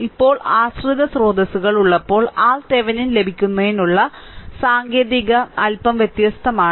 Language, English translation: Malayalam, Now, this when dependent sources is there, technique of getting R Thevenin is slightly different